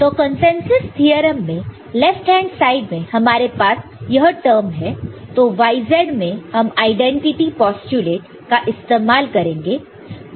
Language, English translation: Hindi, So the consensus theorem – so,, in the consensus theorem we have left hand side we have this term so, y z, we use the identity postulate